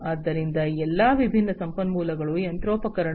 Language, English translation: Kannada, So, all these different resources, the machinery, etc